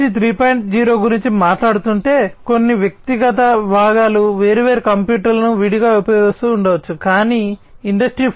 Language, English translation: Telugu, 0, some individual components might be using separate computers separately, but in the Industry 4